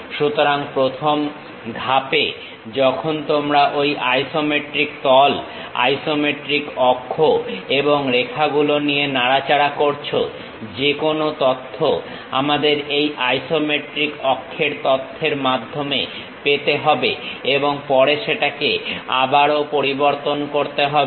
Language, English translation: Bengali, So, the first step when you are handling on these isometric planes, isometric axis and lines; any information we have to get it from this isometric axis information only, that has to be modified further